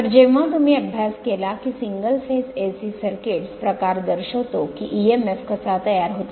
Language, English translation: Marathi, So, when you studied that your single phase AC circuits are the type we showed that how emf is generated